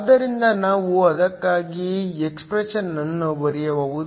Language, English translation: Kannada, So, we can write an expression for that